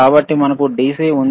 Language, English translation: Telugu, So, what is DC and what is AC